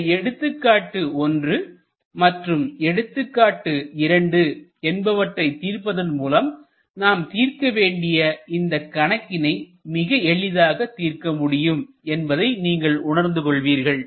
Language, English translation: Tamil, With understanding of example 1 and example 2, this example problem that we are going to solve it will be easy for us to appreciate